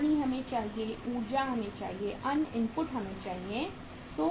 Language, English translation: Hindi, Water we need, power we need, other inputs we need